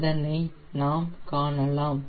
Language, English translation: Tamil, so you can see it is